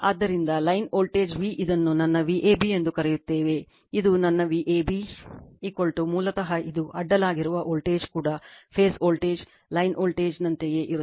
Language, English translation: Kannada, So, line voltage V what you call this is my V ab, this is my V ab is equal to basically this is also voltage across this is phase voltage same as the line voltage